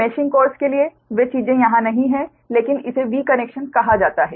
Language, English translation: Hindi, those things for the meshing courses, not here, but that is called v connection